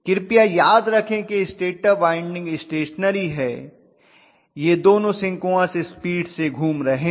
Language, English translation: Hindi, Please remember stator winding is stationary both these things are rotating at synchronous speed